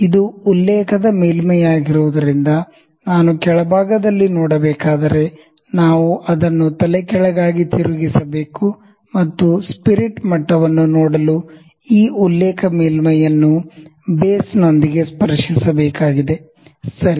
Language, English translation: Kannada, If I need to see at the bottom side because this is the reference surface, we have to turn it upside down, and this reference surface has to be touched with the base to see the spirit level, ok